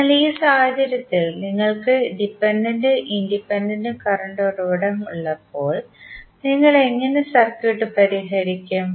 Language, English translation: Malayalam, So, in this case when you have dependent and independent current source, how you will solve the circuit